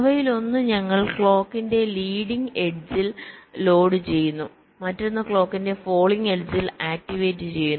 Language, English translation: Malayalam, let say one of them we are loading by the leading edge of the clock, raising age, and the other we are activity of by falling edge of the clock